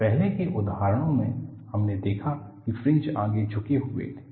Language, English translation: Hindi, In the earlier examples, we saw the fringes were tilted forward